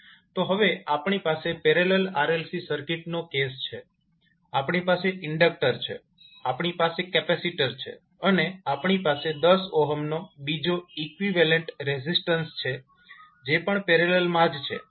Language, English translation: Gujarati, So, now we have a case of parallel RLC circuits, so we have inductor, we have capacitor and we will have another equivalent resistance of 10 ohm which is again in parallel